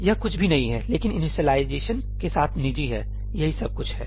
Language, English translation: Hindi, It is nothing, but private with initialisation that is all it is